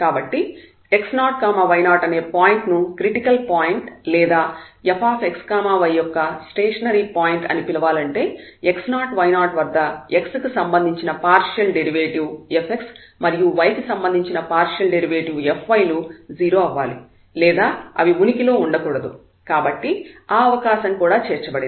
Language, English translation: Telugu, So, the point x 0 y 0 is called critical point or we also call like a stationary point of f x y if the partial derivative of the function f x at this x 0 y 0 point is 0 and f the partial derivative of the function f y at that point x 0 y 0 is 0 or simply they fail to exists